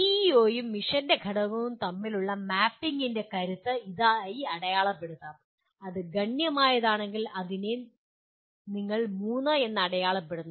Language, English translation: Malayalam, Strength of mapping between PEO and the element of mission may be marked as if it is substantial, you mark it as 3